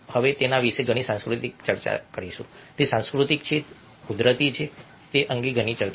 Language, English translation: Gujarati, there is a lot of debate about whether it is cultural or whether it is natural